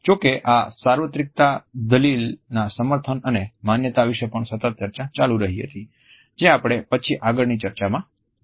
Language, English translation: Gujarati, However, there also has been a continued debate about the justification and validation of this universality argument which we would touch upon in our later discussions